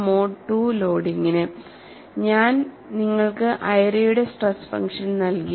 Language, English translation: Malayalam, For the case of mode 2 loading, I have given you the airy stress function